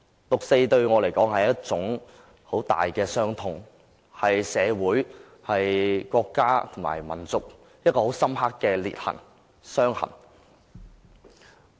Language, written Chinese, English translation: Cantonese, 六四對我來說，是一種很大的傷痛，是在社會、國家和民族中一道很深刻的裂痕和傷痕。, To me the 4 June incident is a huge sorrow . It is a deep rift and wound to society the country and the people